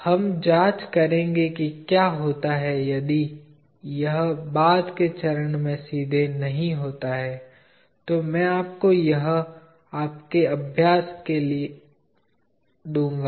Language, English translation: Hindi, We will examine what happens if it is not straight at a later stage, I will give you that as an exercise for you